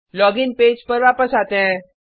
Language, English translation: Hindi, Come back to the login page